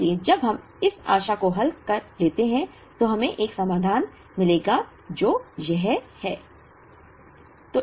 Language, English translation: Hindi, So, when we solve this optimally, we will get a solution which is this